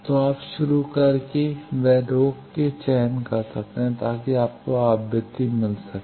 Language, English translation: Hindi, So, you can select the start and stop, so that you can get frequency